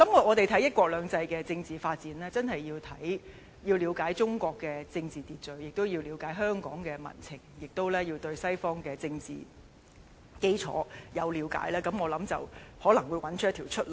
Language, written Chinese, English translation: Cantonese, 我們看"一國兩制"的政治發展，確實要了解中國政治秩序，亦要了解香港民情及西方政治基礎，我相信這樣才可能找到出路。, We indeed have to understand the political order in China Hong Kong peoples sentiment and the fundamentals of Western politics in order to find a way out for our political development under one country two systems